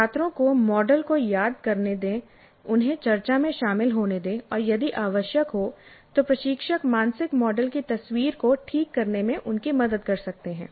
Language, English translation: Hindi, Let the students recall the model and let them engage in a discussion and instructors can help them correct the picture of the mental model if necessary